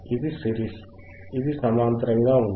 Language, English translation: Telugu, That was series, this is parallel right